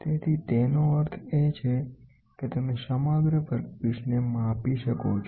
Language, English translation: Gujarati, So, that means to say you can measure the entire workpiece